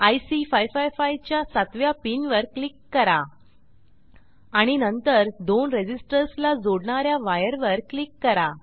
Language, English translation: Marathi, Click on the 7th pin of IC 555 and then on the wire connecting the two resistors